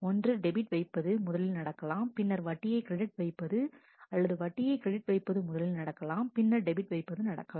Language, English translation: Tamil, Either debit has first happened, then the interest credit or interest credit it has first happened and then the debit